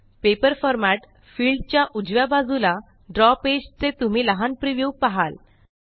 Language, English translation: Marathi, To the right of the Paper format fields, you will see a tiny preview of the Draw page